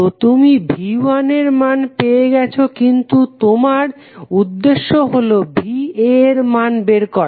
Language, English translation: Bengali, So, you got the value of V 1 but your objective is to find the value of V A